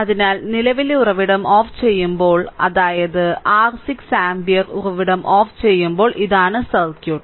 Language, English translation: Malayalam, So, in this case when current source is turned off that is your 6 ampere source is turned off then this is the circuit